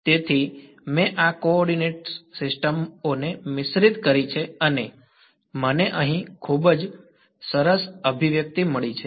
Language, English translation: Gujarati, So, I have mixed up these coordinate systems and I have got a very nice expression over here